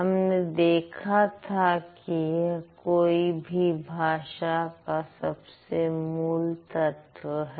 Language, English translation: Hindi, So, I told this is the most rudimentary element in any given language